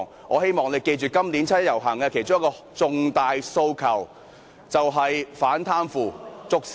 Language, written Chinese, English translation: Cantonese, 我希望大家記住今年七一遊行的其中一個重大訴求，就是"反貪腐，捉 CY"。, I hope all of us will bear in mind that one of the major demands of the participants in this years 1 July march is Combat corruption Arrest CY